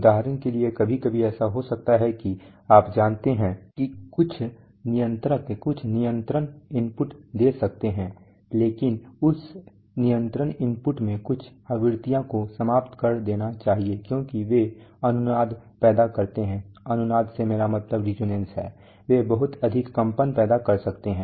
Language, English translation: Hindi, For example, sometimes it may happen that you know, some the controller may give some control input but in that control input certain frequencies must be eliminated because they cause resonance, they may cause a lot of vibration etc